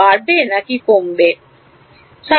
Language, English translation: Bengali, Increases or decreases